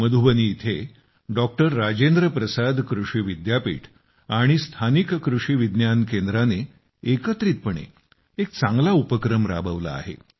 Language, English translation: Marathi, Rajendra Prasad Agricultural University in Madhubani and the local Krishi Vigyan Kendra have jointly made a worthy effort